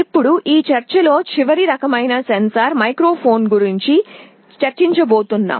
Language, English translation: Telugu, Now, the last kind of sensor that we shall be talking about in this lecture is a microphone